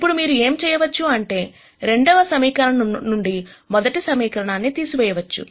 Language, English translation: Telugu, Now what you could do is you could subtract the first equation from the second equation